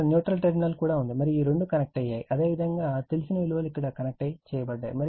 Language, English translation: Telugu, Here also neutral is there and this two are say connected, you know elements are connected here